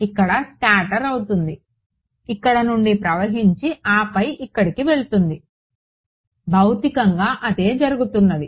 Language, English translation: Telugu, Getting scattered over here going through over here and then going off over here this is physically what is happening